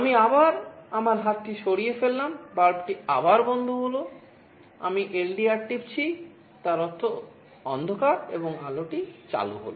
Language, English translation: Bengali, I again remove my hand the bulb is switched OFF again, I press the LDR; that means, darkness the light is switched ON